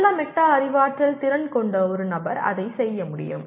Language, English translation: Tamil, And a person with good metacognitive skills will be able to do that